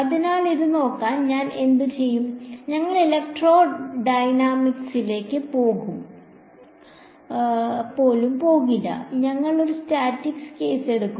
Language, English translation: Malayalam, So, in order to look at this, there are what I will do is we will not even go into electrodynamics, we will just take a static case